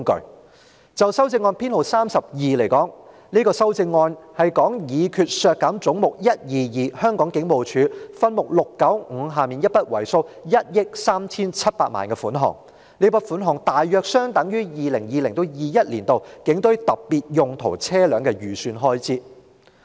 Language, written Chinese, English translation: Cantonese, 我提出修正案編號 32， 議決為削減分目695而將"總目 122― 香港警務處"削減一筆為數 137,976,000 元的款項，大約相當於 2020-2021 年度警務處警隊特別用途車輛預算開支。, I propose Amendment No . 32 Resolved that Head 122―Hong Kong Police Force be reduced by 137,976,000 in respect of subhead 695 . The sum is approximately equivalent to the estimated expenditure on police specialised vehicles for the Police Force in 2020 - 2021